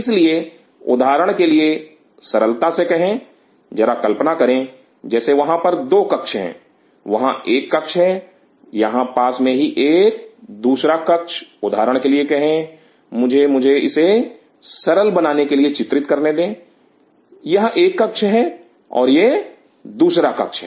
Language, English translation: Hindi, So, simply say for example, there are just imagine like there are two rooms, there is a room here is an adjacent room say for example, let me let me draw it is to make it simple this is one room and this is another room